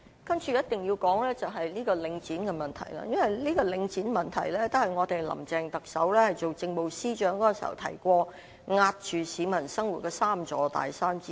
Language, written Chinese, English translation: Cantonese, 接着一定要說的是領展的問題，因為領展的問題是特首林鄭月娥出任政務司司長時所說令市民生活受壓的3座大山之一。, Next I must talk about Link for it was described by Chief Executive Carrie LAM as one of the three mountains oppressing the people in their living when she took office as the Chief Secretary for Administration